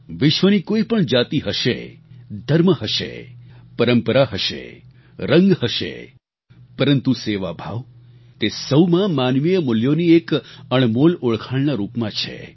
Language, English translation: Gujarati, Be it any religion, caste or creed, tradition or colour in this world; the spirit of service is an invaluable hallmark of the highest human values